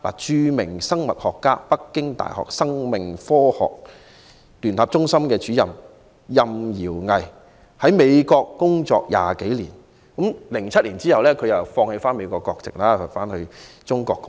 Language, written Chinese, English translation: Cantonese, 著名生物學家、北京大學生命科學聯合中心主任饒毅在美國工作20多年 ，2007 年他放棄美國國籍，回中國貢獻。, RAO Yi a renowned biologist and director of the Centre of Life Sciences at Peking University had worked in the United States for some 20 years . He relinquished his United States citizenship and returned to China in 2007 to contribute to his country